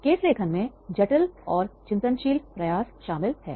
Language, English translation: Hindi, Case writing involves complex and reflective endeavours